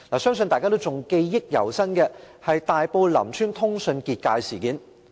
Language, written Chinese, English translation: Cantonese, 相信大家對大埔林村通訊"結界"事件記憶猶新。, I believe Members still have a fresh memory of the incident of the freeze of telecommunications in Lam Tsuen Tai Po